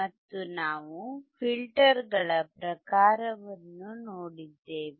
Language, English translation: Kannada, And we have also seen the type of filters